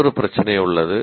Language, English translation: Tamil, There is another issue